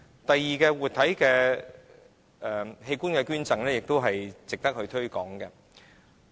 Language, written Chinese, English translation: Cantonese, 第二點，活體器官捐贈是值得推廣的。, Secondly living organ donation is worth promoting